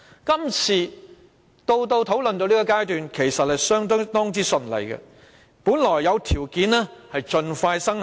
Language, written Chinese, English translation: Cantonese, 今次的《條例草案》直到討論階段其實都相當順利，本來有條件盡快生效。, Actually the scrutiny of the Bill had been going on rather smoothly through the discussion stage and it could have been passed very soon